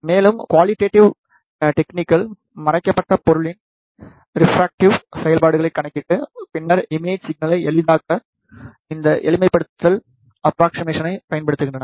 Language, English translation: Tamil, And, the qualitative techniques calculate the refractivity function of the hidden object and then use this simplification approximation to simplify the imaging problem